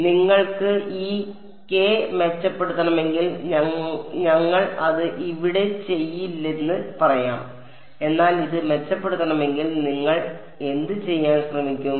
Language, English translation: Malayalam, So, let us say if you wanted to improve this k we would not do it here, but what would what would you try to do if wanted to improve this